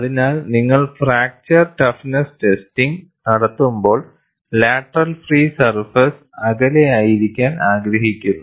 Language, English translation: Malayalam, So, when you are going in for fracture toughness testing, you would like to have the lateral free surface far away